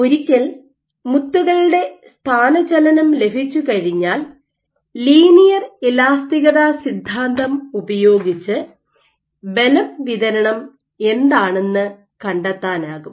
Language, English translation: Malayalam, So, using this once you get the bead displacement then, you can use theory of linear elasticity to find out what is the force distribution